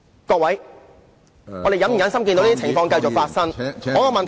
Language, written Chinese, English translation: Cantonese, 各位，我們是否忍心看到這種情況繼續發生？, Honourable colleagues do we have the heart to see such situation continue to happen?